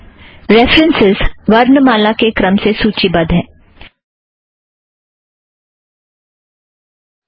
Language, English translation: Hindi, Note that these references are also listed alphabetically